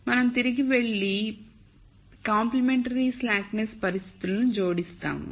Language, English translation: Telugu, We go back and add the complementary slackness conditions